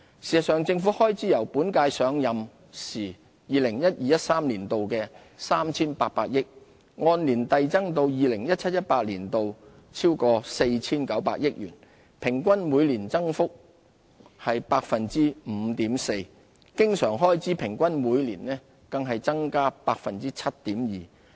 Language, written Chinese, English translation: Cantonese, 事實上，政府總開支由本屆上任時 2012-2013 年度的 3,800 億元，按年遞增至 2017-2018 年度逾 4,900 億元，平均每年增加 5.4%， 經常開支平均每年更增加 7.2%。, The total expenditure of the Government has increased year after year from 380 billion in 2012 - 2013 to over 490 billion in 2017 - 2018 . Total and recurrent expenditure of the current - term Government would have respectively grown on average by 5.4 % and as much as 7.2 % per annum between 2012 - 2013 and 2017 - 2018